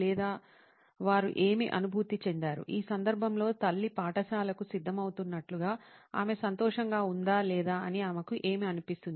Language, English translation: Telugu, Or they do not feel anything, like in this case mom getting ready for school she does not probably feel anything as she is happy or not